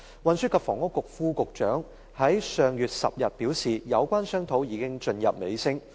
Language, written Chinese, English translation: Cantonese, 運輸及房屋局副局長於上月10日表示，有關商討已進入尾聲。, The Under Secretary for Transport and Housing indicated on the 10 of last month that the relevant discussions had reached the final stage